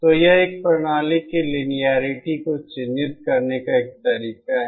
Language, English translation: Hindi, So this is one way of characterizing the linearity of a system